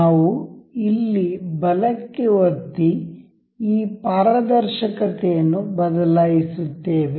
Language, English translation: Kannada, We will right click over here in this change transparency